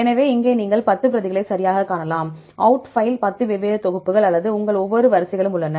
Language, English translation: Tamil, So, here you can see a 10 replicates right, the outfile contains 10 different sets of or each of your sequences right